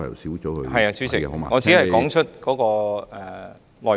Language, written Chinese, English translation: Cantonese, 是的，主席，我只是說出內容。, Certainly President . I just spoke on the content